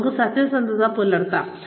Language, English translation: Malayalam, Let us be honest